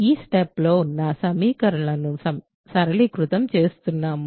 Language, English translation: Telugu, I am just simplifying these equations in the box right